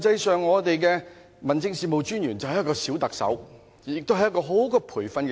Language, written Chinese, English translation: Cantonese, 十八區的民政事務專員實際上便是"小特首"，亦是一個很好的培訓基地。, District Officers in the 18 districts are like mini - Chief Executives whereas DCs also offer an ideal training ground